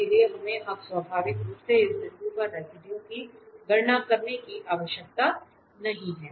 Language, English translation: Hindi, So, we do not have to now compute naturally the residue at this point